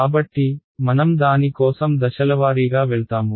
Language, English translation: Telugu, So, we will sort of go through it step by step